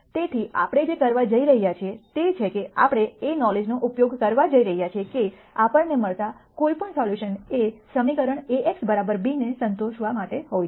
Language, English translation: Gujarati, So, what we are going to do is we are going to use the knowledge that any solution that we get has to satisfy the equation A x equal to b